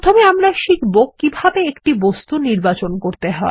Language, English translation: Bengali, We will first learn how to select an object